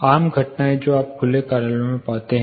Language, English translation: Hindi, Common phenomena you find in open offices